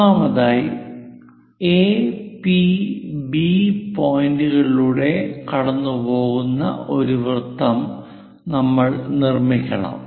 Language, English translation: Malayalam, First of all, we have to construct a circle passing through A, P, B points